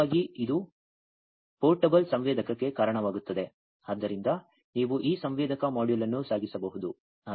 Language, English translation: Kannada, In fact, that will lead to a portable sensor so you can carry this sensor module